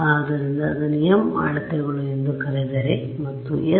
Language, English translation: Kannada, So, if I call that say m m measurements, that is your s